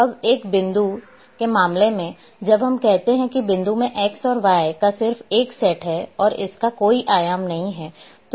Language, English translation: Hindi, Now in case of a point; basically point is the when we say point, point is having just one set of x and y and it doesn’t have any dimension